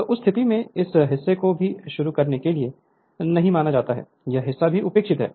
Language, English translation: Hindi, So, in that case this part is also we have not considered start this is this part is also neglected